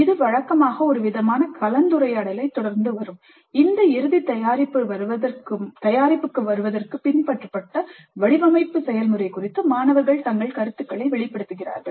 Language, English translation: Tamil, And this will be usually followed by some kind of a discussion where the students express their comments and opinions about the design process followed to arrive at this final product